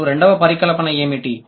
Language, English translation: Telugu, Now, what is the second hypothesis